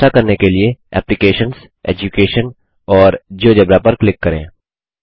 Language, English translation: Hindi, To do this let us click on applications, Education and Geogebra